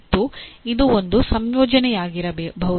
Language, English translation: Kannada, And it can be a combination of any of these